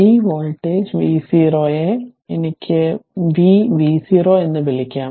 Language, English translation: Malayalam, And say this is v and this is v 0 right